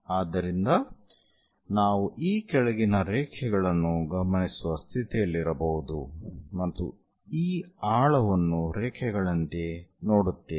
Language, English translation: Kannada, So, one might be in a position to observe the following lines and one will be seeing this depth as lines